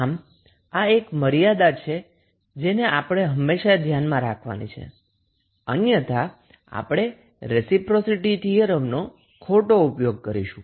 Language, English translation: Gujarati, So, this is the limitation which we have to always keep in mind otherwise, we will use reciprocity theorem wrongly